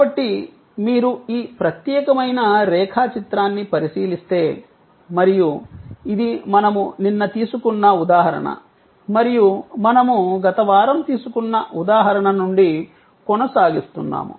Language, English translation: Telugu, So, if you look at this particular diagram and we are continuing from the example that we had taken yesterday and the example we took last week as well